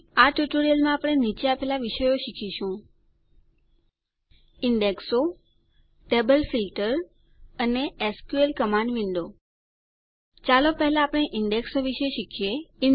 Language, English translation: Gujarati, In this tutorial, we will learn the following topics: Indexes Table Filter And the SQL Command window Let us first learn about Indexes